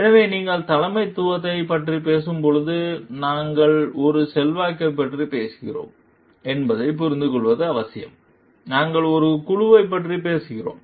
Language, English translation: Tamil, So, when you are talking of leadership, it is important to understand like we are talking of an influence, we are talking of a group